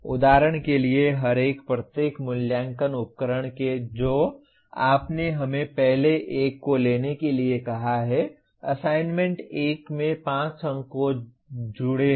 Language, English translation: Hindi, For example each one, each assessment instrument that you have let us say take the first one, assignment 1 there are 5 marks associated